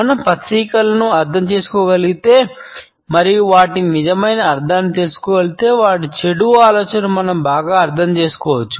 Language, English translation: Telugu, If we can understand the symbolisms and what they really mean we can better understand their satanic agenda